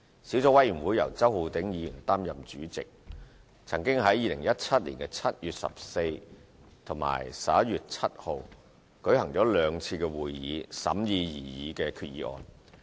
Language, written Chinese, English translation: Cantonese, 小組委員會由周浩鼎議員擔任主席，曾於2017年7月14日及11月7日舉行兩次會議審議該擬議決議案。, Under the chairmanship of Mr Holden CHOW the Subcommittee held two meetings on 14 July and 7 November 2017 to examine the proposed resolution